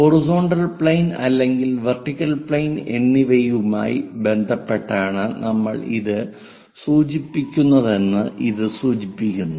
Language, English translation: Malayalam, That indicates that with respect to either horizontal plane or vertical plane we are referring